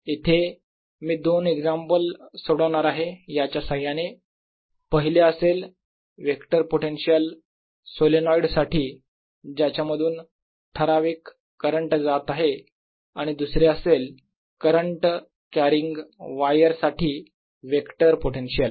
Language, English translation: Marathi, two examples: one will be vector potential for a solenoid carrying certain current and two, vector potential for a current carrying wire